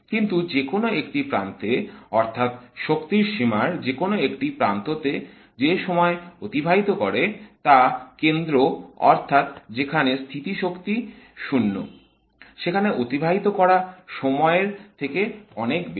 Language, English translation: Bengali, But the time it spends on either edges, that is on either side of the potential barrier, is definitely much, much more than the time it spends in the middle, that is right where the potential is zero